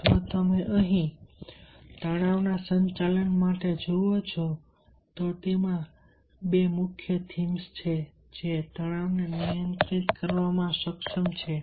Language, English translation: Gujarati, if you look for the management of stress, there are two prominent themes that can able to handle stress